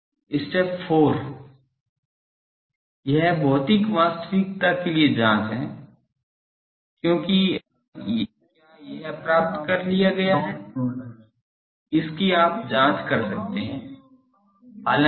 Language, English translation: Hindi, That step 4 is check for physical realizability, because whether that is achieved that you can you should check